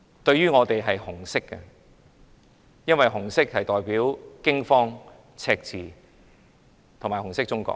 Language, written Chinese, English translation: Cantonese, 對我們來說，它是紅色的，因為紅色代表驚慌、赤字和紅色中國。, To us it is red because the red colour stands for fear deficit and communist China